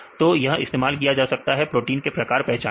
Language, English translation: Hindi, So, this could be used for identifying the type of protein